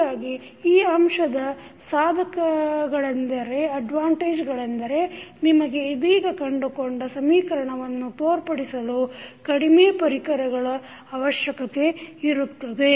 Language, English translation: Kannada, So, the advantage of this particular figure is that you need fewer element to show the equation which we just derived